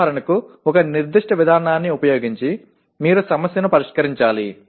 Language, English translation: Telugu, Like for example using a certain procedure you should solve the problem